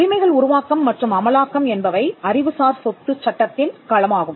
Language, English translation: Tamil, Rights creation and enforcement is the domain of intellectual property law